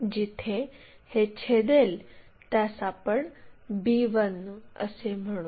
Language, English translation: Marathi, Where it is going to intersect let us call b1